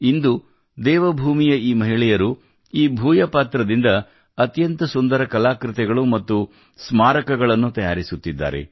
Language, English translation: Kannada, Today, these women of Devbhoomi are making very beautiful artefacts and souvenirs from the Bhojpatra